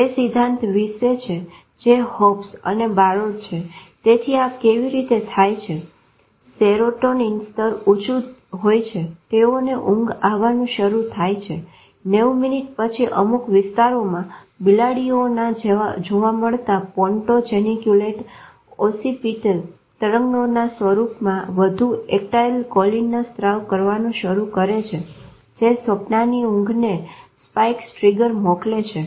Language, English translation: Gujarati, It is this theory which Hobson Browd, so this is how it happens the serotonin levels are high they start falling sleep triggers 90 minutes later certain areas start secreting more acetylcholine in the form of ponto genucleotobotal waves found in cats which sends spikes triggers of the dream sleep right pontine lesions abolish REM related this is esthylcholine the reticular formation activates the forebrain sleep